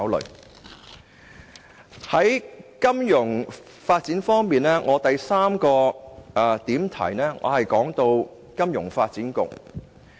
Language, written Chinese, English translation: Cantonese, 在金融發展方面，我要談論的第三個範疇是金發局。, With regard to financial development the third issue I would like to discuss is FSDC